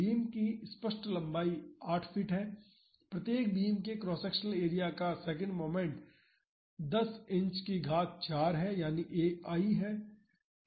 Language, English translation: Hindi, The clear span of the beams is 8 feet, the second moment of cross sectional area of each beam is 10 inch to the power 4 so, that is I